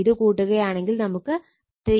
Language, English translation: Malayalam, If you add this it will be actually 3